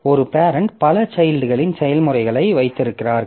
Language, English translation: Tamil, So, a parent has spawned a number of children processes